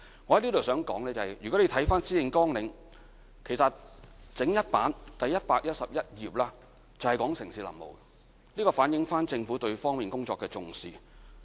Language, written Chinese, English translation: Cantonese, 我在這裏想說的是，如果你看施政綱領，其實第111頁整整一頁就是有關城市林務的，這反映政府對這方面工作的重視。, What I would like to say is that if you read the Policy Address the entire page 111 is on urban forestry . This shows the importance that the Government attaches to this area of work